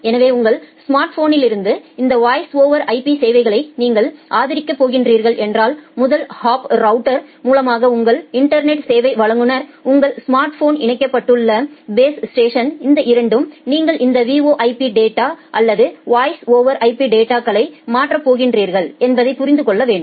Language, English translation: Tamil, So, if you are going to support this voice over IP services from your smartphone, then your network service provider at the first hop router say the base station where your smartphone is connected it should understand that will you are going to transfer this VoIP data, voice over IP data